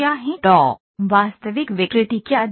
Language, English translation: Hindi, So, what does the actual deformation look like